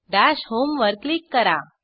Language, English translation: Marathi, Click on theDash home